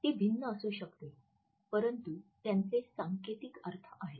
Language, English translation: Marathi, They may be different, but they do have a codified interpretation